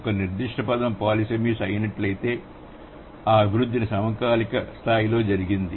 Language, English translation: Telugu, If a particular word has been polysamous, then the development has happened at a synchronic level